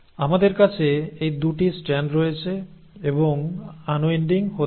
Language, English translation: Bengali, So we have these 2 strands and the unwinding has to happen